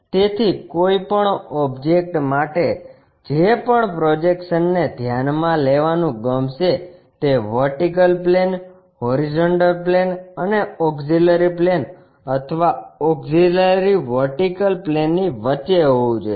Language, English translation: Gujarati, So, the any object whatever the projection we would like to really consider that has to be in between vertical plane, horizontal plane and auxiliary plane or auxiliary vertical plane